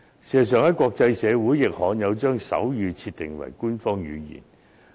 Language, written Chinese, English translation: Cantonese, 事實上，在國際社會中，亦罕有將手語設定為官方語言。, In fact sign language is rarely adopted as an official language in countries around the world